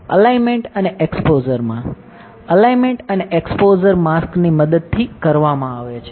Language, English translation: Gujarati, So, alignment and exposure; alignment and exposure is done with the help of mask